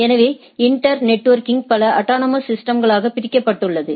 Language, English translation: Tamil, The inter networking is divided into several autonomous systems